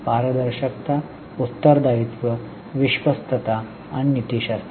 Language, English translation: Marathi, Transparency, accountability, trusteeship and ethics